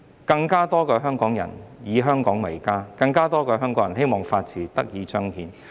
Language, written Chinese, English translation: Cantonese, 希望有更多香港人以香港為家，更多香港人希望法治得以彰顯。, I hope that more Hong Kong people will see Hong Kong as their home and that more Hong Kong people will long for the upholding of the rule of law